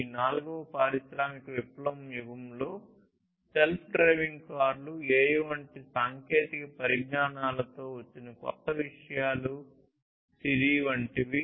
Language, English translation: Telugu, And in this fourth industrial revolution age, what are the new things that have come in technologies such as self driving cars, technologies such as AI enabled Siri, and so on